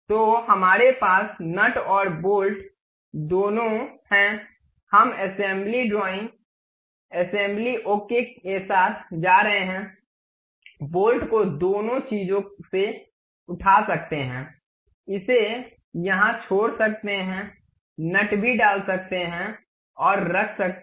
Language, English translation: Hindi, So, we have both nut and bolt, we can go with assembly drawing, assembly, ok, pick bolt nut both the things, drop it here, insert nut also and keep it